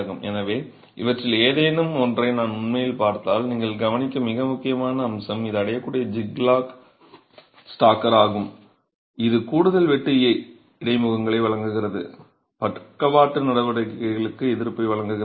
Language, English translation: Tamil, So, if you actually look at any of these, the most important aspect that you will notice is this zigzag stagger that is achieved which is providing additional shear interfaces providing resistance for lateral action